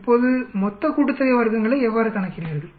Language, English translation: Tamil, Now how do you calculate total sum of squares